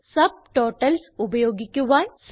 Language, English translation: Malayalam, How to use Subtotals